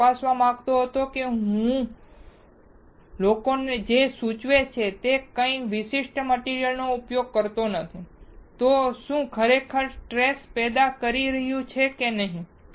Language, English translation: Gujarati, I wanted to check whether if I do not use a particular material what people are suggesting , whether it is really causing a stress or not